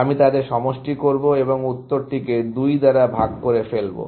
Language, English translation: Bengali, I will sum them up and divide the answer by 2